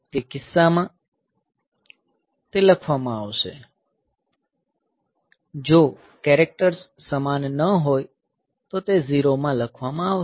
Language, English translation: Gujarati, So, in that case it will be written; if the characters are not same then it will be written in 0